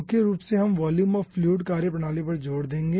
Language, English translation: Hindi, mainly, we will be stressing on volume of fluid methodology